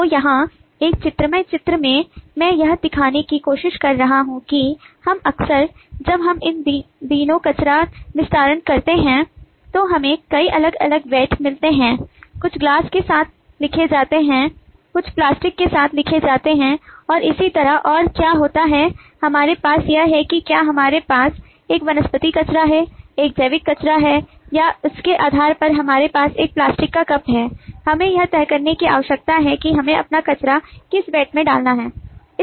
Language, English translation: Hindi, so here in this illustrative diagram, i am trying to show that we often, when we these days, go to dispose garbage, then we get a number of different vats, some written with glass, some written with plastic and so on, and depending on what we have whether we have a vegetable waste, a biological waste or we have a plastic cup in depending on that, we need to decide which vat we should put our garbage into